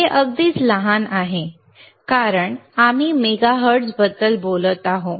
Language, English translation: Marathi, This is negligibly small why because we are talking about megahertz,